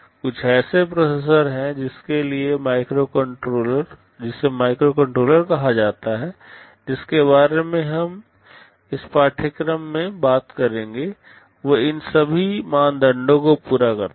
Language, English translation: Hindi, There is some kind of processor called microcontroller that we shall be talking about throughout this course, they satisfy all these criteria